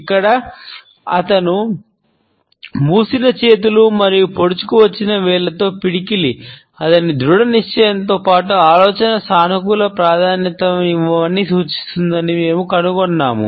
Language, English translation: Telugu, And here, we find that his closed hands and fist with a protruding finger, suggest his determination as well as a positive emphasis on the idea